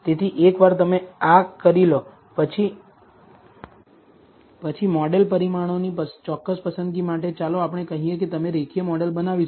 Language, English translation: Gujarati, So, once you have done this, for a particular choice of the model parameters, let us say you have building a linear model